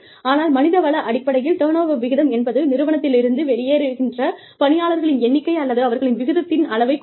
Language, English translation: Tamil, But, in human resources terms, turnover rates refer to, the number of people, or the rate at which, the employees leave the firm